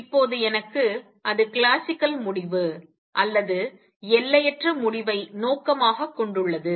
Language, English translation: Tamil, Now I need to that is the classical result or intend to infinite result